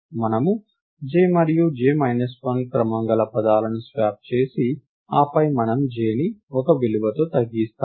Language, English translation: Telugu, We swap the values of order of j and order of j minus 1, then we decrement j minus 1